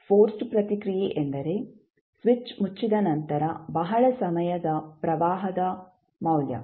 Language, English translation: Kannada, Forced response is the value of the current after a long time when the switch is closed